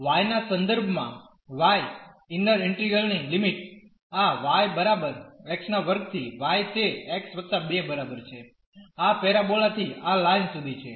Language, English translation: Gujarati, The limits of the inner integral y with respect to y will be from this y is equal to x square to y is equal to x plus 2 the parabola to this to this line from this parabola to that line